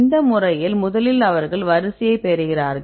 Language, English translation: Tamil, So, first they get the sequence